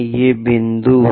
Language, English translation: Hindi, These are the points